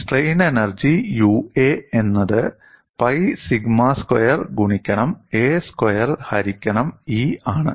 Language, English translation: Malayalam, The strain energy is given as U suffix a equal to pi sigma squared a squared divided by E